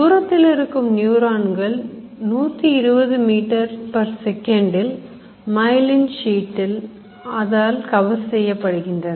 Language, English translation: Tamil, 120 meters second are the long distance neurons which are covered in myelin sheet